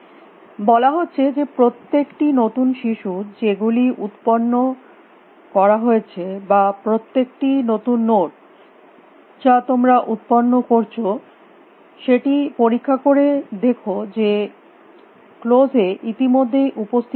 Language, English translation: Bengali, Saying is that for every new child that you are generated or every new node that you are generating check whether it is already present in close